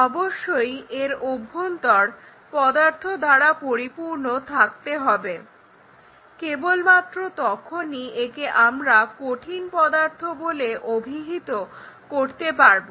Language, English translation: Bengali, So, the material has to be filled inside that then only we will call it as solid